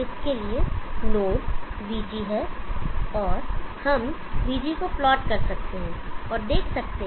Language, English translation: Hindi, The node for that is VG, we can plot VG and C